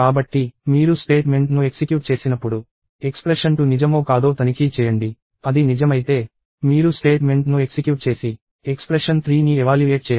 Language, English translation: Telugu, So, when you execute the statement, you check if the expression 2 is true; if it is true, you execute the statement and evaluate expression 3